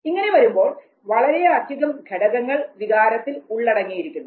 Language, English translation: Malayalam, So, whole lots of issues are involved in emotion